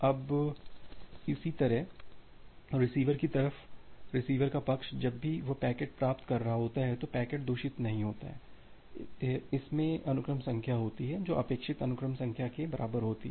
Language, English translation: Hindi, Now, similarly at the receiver side the receiver side whenever it is receiving a packet the packet is not corrupted and it has the sequence number which is equal to the expected sequence number